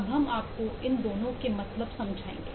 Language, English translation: Hindi, so let me just quickly explain what these mean